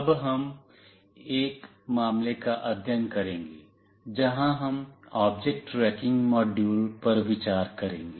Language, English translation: Hindi, Now, we will consider a case study, where we will consider an object tracking module